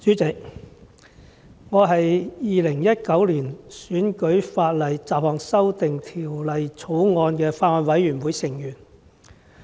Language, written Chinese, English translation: Cantonese, 主席，我是《2019年選舉法例條例草案》委員會成員。, President I am a member of the Bills Committee on Electoral Legislation Bill 2019